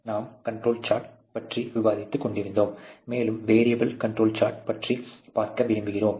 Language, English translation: Tamil, We were discussing about control charts, and we would like to see a little more of variable control charts